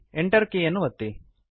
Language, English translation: Kannada, Then press the Enter key